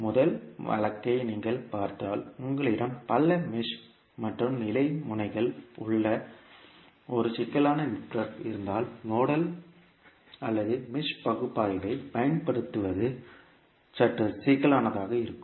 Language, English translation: Tamil, So, if you see the first case you, if you have a complex network where you have multiple mesh and nodes of level, then applying the node nodal or mesh analysis would be a little bit cumbersome